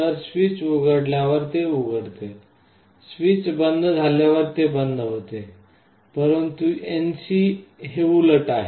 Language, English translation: Marathi, So, it is open when the switch is opened, it gets closed when the switch is closed, but NC is the reverse